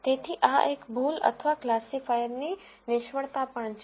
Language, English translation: Gujarati, So, this is also a mistake or a failure of the classifier